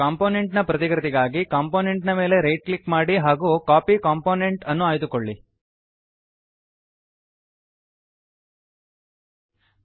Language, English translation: Kannada, To copy a component, right click on the component and choose Copy Component